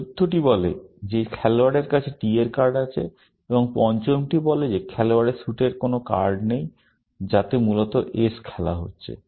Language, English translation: Bengali, The fourth one says that player has a card of t, and the fifth one says that the player has no cards of the suit, which